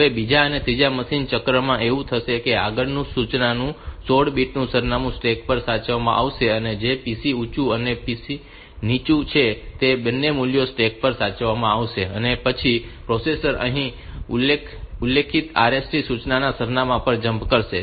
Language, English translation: Gujarati, The second and third machine cycles what will happen is that the 16 bit address of the next instruction will be saved on to the stack that is the PC high and PC low those two values will be saved onto the stack and then the processor will jump to the address to which to the of the specified RST instruction